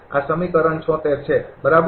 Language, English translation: Gujarati, So, this is equation is 80